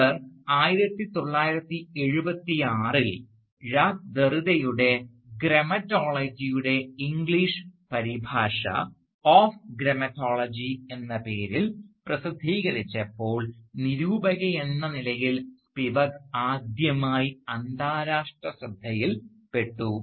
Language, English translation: Malayalam, Indeed, Spivak first came to international limelight, as a critic, when in 1976 she published an English translation of Jacques Derrida’s "Grammatology" under the title "Of Grammatology"